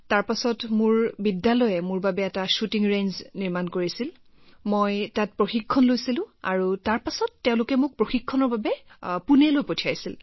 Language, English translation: Assamese, Then my school made a shooting range for me…I used to train there and then they sent me to Pune for training